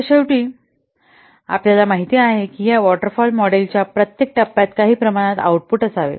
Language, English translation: Marathi, So, finally, as you know that every stage of this classical waterfall model, it contains some output should be there